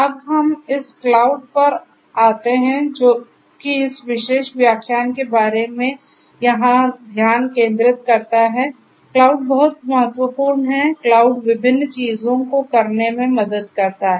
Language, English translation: Hindi, Now, let us come to this cloud which is the focus over here of this particular lecture, cloud is very important, cloud helps in doing number of different things